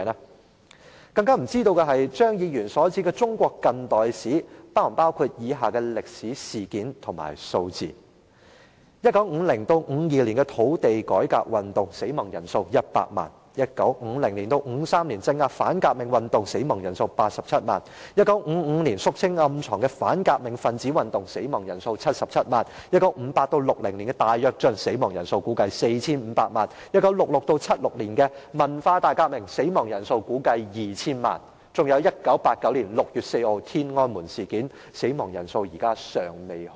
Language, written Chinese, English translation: Cantonese, 我更不知道張議員所指的"中國近代史"，是否包括以下的歷史事件和數字。1950年至1952年的土地改革運動，死亡人數100萬 ；1950 年至1953年的鎮壓反革命運動，死亡人數87萬 ；1955 年肅清暗藏的反革命分子運動，死亡人數77萬 ；1958 年至1960年的大躍進，死亡人數估計為 4,500 萬 ；1966 年至1976年的文化大革命，死亡人數估計為 2,000 萬；以及1989年6月4日的天安門事件，死亡人數至今未明。, I further wonder whether the contemporary Chinese history as referred to by Mr CHEUNG would include the following historical incidents and figures the land reform movement from 1950 to 1952 the death toll was 1 million; the suppression of the counter - revolutionary movement from 1950 to 1953 the death toll was 870 000; the movement to eliminate hidden counter - revolutionist in 1955 the death toll was 770 000; the Great Leap Forward from 1958 to 1960 the estimated death toll was 45 million; the Cultural Revolution from 1966 to 1976 the estimated death toll was 20 million; and the Tiananmen Square incident on 4 June 1989 the death toll was still unknown